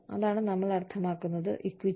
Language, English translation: Malayalam, That is what, we mean by, equity